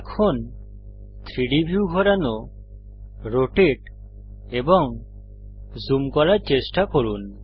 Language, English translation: Bengali, Now try to pan, rotate and zoom the 3D view